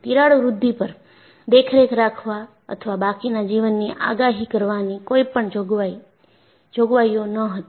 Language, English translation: Gujarati, So, there was no provision to monitor the growth of a crack or predict the remaining life